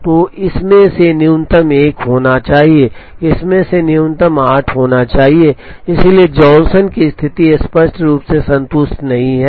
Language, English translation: Hindi, So, minimum of this happens to be 1, minimum of this happens to be 8, so the Johnson condition is clearly not satisfied